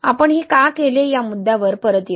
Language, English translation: Marathi, We will come back to this point why we did this